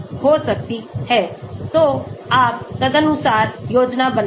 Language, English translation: Hindi, So, you plan accordingly